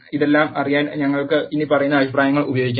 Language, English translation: Malayalam, We can use the following comments to know all of this